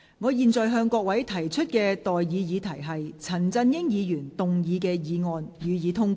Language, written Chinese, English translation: Cantonese, 我現在向各位提出的待議議題是：陳振英議員動議的議案，予以通過。, I now propose the question to you and that is That the motion moved by Mr CHAN Chun - ying be passed